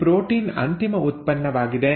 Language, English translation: Kannada, Now this protein is the final product